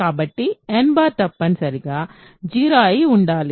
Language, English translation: Telugu, So, n bar must be 0